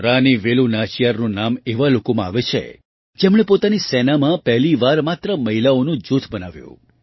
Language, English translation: Gujarati, The name of Rani Velu Nachiyar is included among those who formed an AllWomen Group for the first time in their army